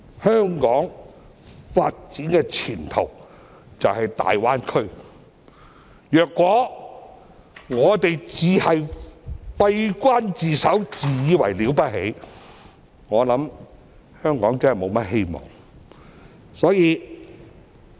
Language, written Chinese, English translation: Cantonese, 香港發展的前途就是大灣區，如果我們只閉關自守、自以為了不起，香港便沒有希望了。, The development prospect of Hong Kong is the Guangdong - Hong Kong - Macao Greater Bay Area . We are doomed if we keep hiding behind the door and thinking too highly of ourselves